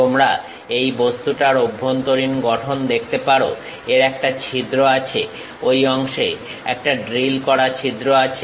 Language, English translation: Bengali, You can see the internal structure of this object, it is having a bore, drilled bore, having that portion